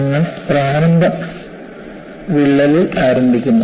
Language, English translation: Malayalam, And you start with the initial crack